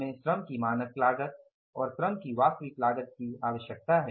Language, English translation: Hindi, We require the standard cost of the labour and the actual cost of the labour